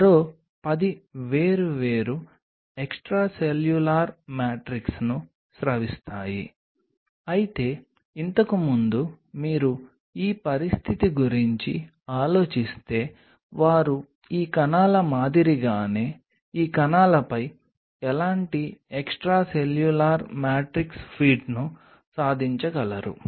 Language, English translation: Telugu, another ten is going to secrete different extracellular matrix, but earlier to that, if you think of this situation where they could attain any kind of extracellular matrix, feet on the similar, all these cells similar to these cells